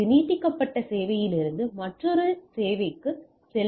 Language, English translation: Tamil, So, move from one extended service to another